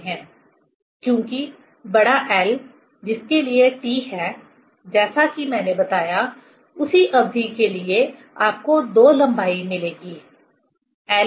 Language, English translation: Hindi, Because capital L for which T value for, as I told, for a same period you will get two length: l 1, l 2